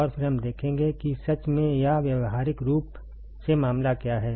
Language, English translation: Hindi, And then we will see that in truth or practically what is the case